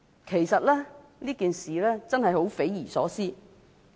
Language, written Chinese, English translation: Cantonese, 其實，這件事真是十分匪夷所思的。, In fact this incident is inconceivable indeed